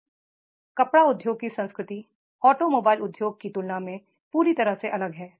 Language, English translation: Hindi, So, the culture of the textile industry is totally different than the automobile industry